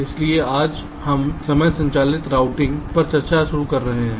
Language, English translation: Hindi, so today we start with some discussion on timing driven routing